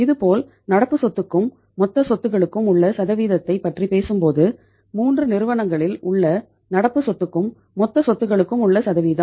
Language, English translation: Tamil, Similarly, if you talk about the percentage of the current asset to the total assets here in the 3 companies the percentage of the current asset to total assets